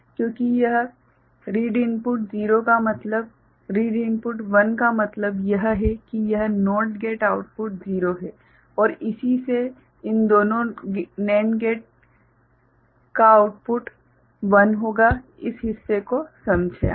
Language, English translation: Hindi, Because, this read input 0 means read input 1 means this NOT gate output is 0 and corresponding these two NAND gate output will be 1, this part is understood